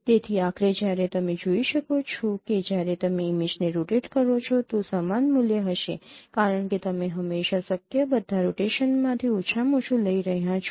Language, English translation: Gujarati, So finally as you can see even if you rotate the image the same no value will be there because you are always taking the minimum out of all possible rotations